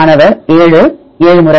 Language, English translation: Tamil, 7 7 times